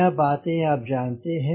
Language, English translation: Hindi, this things we know